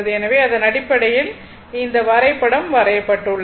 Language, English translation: Tamil, So, thisthat based on that this this your diagram has been drawn right